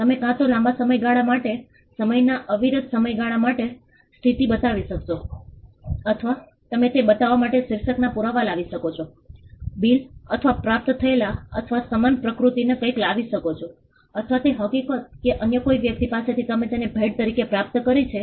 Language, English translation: Gujarati, You could either show position for a long period, uninterrupted period of time, or you could bring evidence of title to show that a bill or a received or something of a similar nature to show that or the fact that you received it as a gift from someone else